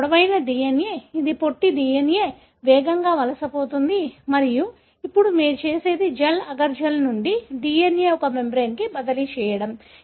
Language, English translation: Telugu, This is longer DNA, it is a shorter DNA, migrates faster and then what you do is, from the gel, the agar gel, transfer the DNA to a membrane